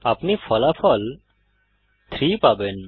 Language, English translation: Bengali, You should get the result as 3